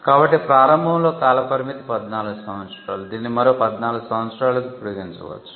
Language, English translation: Telugu, So, the initial term was 14 years which could be extended to another 14 years